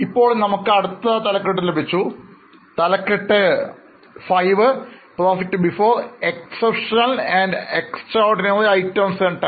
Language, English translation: Malayalam, Now we have got next heading heading 5 that is profit before exceptional and extraordinary items and tax